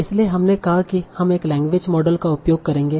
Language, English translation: Hindi, So we will see language model using these definitions